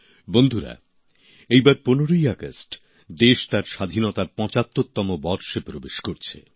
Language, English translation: Bengali, Friends, this time on the 15th of August, the country is entering her 75th year of Independence